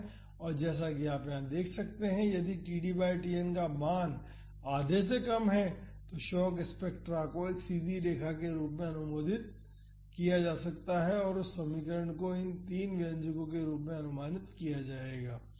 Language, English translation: Hindi, So, as you can see here if the td by Tn values are less than half, then the shock spectra can be approximated as a straight line and that equation will be approximated as these three expressions